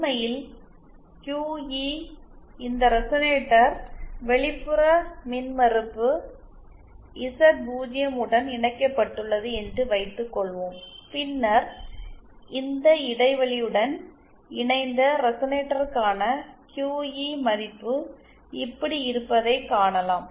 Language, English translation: Tamil, In fact the QE, suppose this resonator is connected to external impedance Z0, then the QE value for this gap coupled resonator, it can be found to be like this